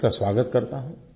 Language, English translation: Hindi, I welcome this